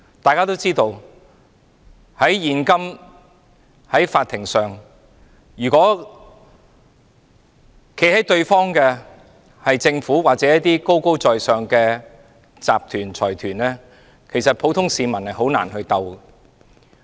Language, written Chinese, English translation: Cantonese, 大家也知道，如果對簿公堂的是政府或高高在上的集團和財團，普通市民是很難與之對抗的。, As we all know if the adversary at court is the Government or some lofty corporations or consortia it is difficult for a general member of the public to fight it at court